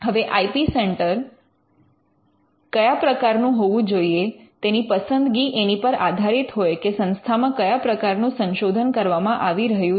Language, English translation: Gujarati, Now, the choice of the type of IP centre can depend on the amount of research that is being done in the institute